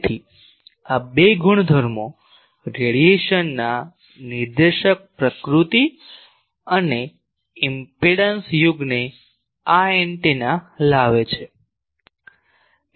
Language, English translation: Gujarati, So, these two properties the directive nature of radiation and impedance coupling this is antenna brings